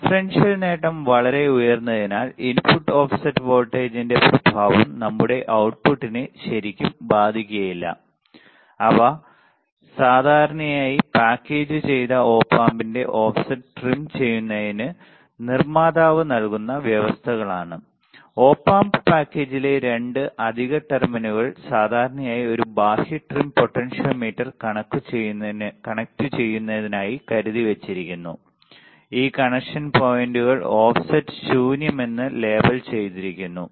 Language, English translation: Malayalam, Since the differential gain is very high the effect of the input offset voltage is not really going to affect our output they are usually provisions made by manufacturer to trim the offset of the packaged Op Amp, how usually 2 extra terminals on the Op Amp package are reserved for connecting an external trim potentiometer these connection points are labeled as offset null